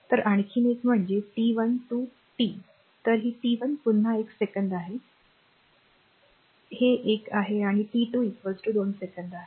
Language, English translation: Marathi, So, another is that t 1 to t; so, t 1 again is one second this is one and t is equal to 2 second